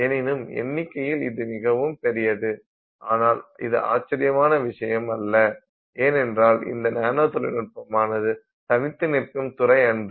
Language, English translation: Tamil, But still this number is large but it is not surprising because as you will see through this course, nanotechnology is not a field in isolation